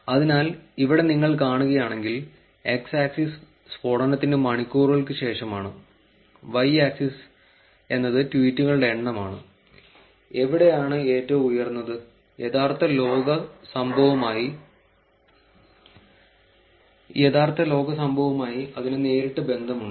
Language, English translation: Malayalam, So, here if you see, x axis is the hours after the blast, y axis is the number of tweets, and wherever the peak has happened, there is a direct relation to the real world event